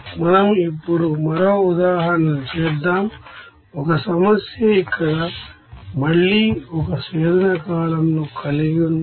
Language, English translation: Telugu, Let us do another examples, suppose a problem let us have this problem here again one distillation column